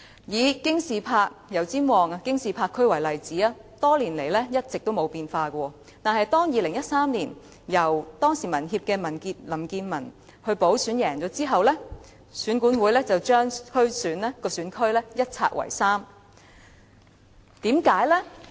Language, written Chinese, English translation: Cantonese, 以油尖旺區的京士柏為例子，該選區多年來一直沒有變化，但當民協的林健文於2013年經補選勝出後，選管會便把該選區一拆為三。, Take Kings Park in Yau Tsim Mong District as an example . No change has taken place in the constituency for many years . Yet after LAM Kin - man from the Hong Kong Association for Democracy and Peoples Livelihood was elected in the by - election in 2013 the Electoral Affairs Commission divided the constituency into three different constituencies